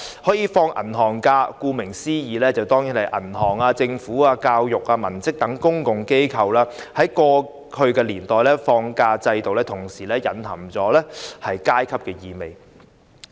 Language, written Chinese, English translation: Cantonese, 可以放取銀行假期的人，顧名思義當然是銀行、政府、教育機關等公共機構的文職人員，在過去的年代，放假制度同時隱含了階級意味。, Those who enjoyed bank holidays as the name implied were clerical staff in public institutions such as banks government departments educational institutions etc . The holiday systems in those days also implied class differences